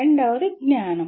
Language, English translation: Telugu, The second one is knowledge